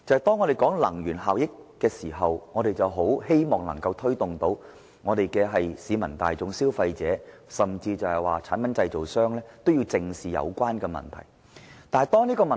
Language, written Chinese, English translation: Cantonese, 當我們討論能源效益時，我們很希望推動市民大眾、消費者，以至產品製造商都正視有關問題。, When we discuss energy efficiency we are anxious to encourage the public consumers and even product manufacturers to look squarely at the problem